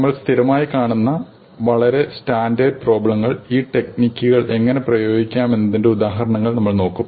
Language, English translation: Malayalam, And we will see examples of how these techniques can be applied to very standard problems that we come across repeatedly